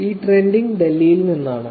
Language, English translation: Malayalam, Trending is from Delhi